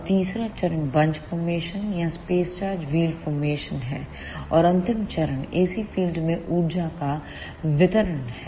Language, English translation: Hindi, And the third phase is bunch formation or space charge wheel formation; and the last phase is dispensing of energy to the ac field